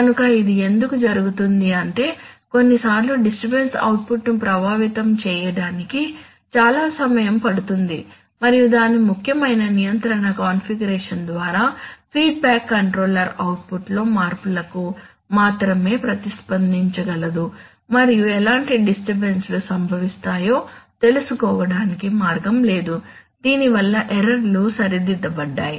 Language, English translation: Telugu, So that happens because sometimes the disturbance takes long time to affect the output and a feedback controller by its essential control configuration can respond only to changes in output and has no way of knowing what disturbances are occurring, that causes errors to be, that is errors must be formed to be corrected